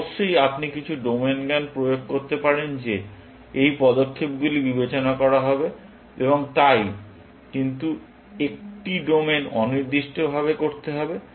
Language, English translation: Bengali, Of course, you can apply some domain knowledge to saym these moves are to be considered, and so on, but in a domain independent passion